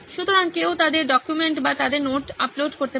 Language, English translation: Bengali, So someone can upload their documents or their notes onto it